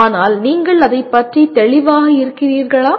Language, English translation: Tamil, But are you clear about it